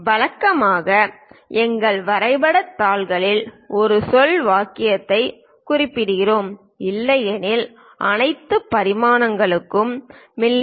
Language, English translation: Tamil, Usually on our drawing sheets we mention a word sentence, unless otherwise specified all dimensions are in mm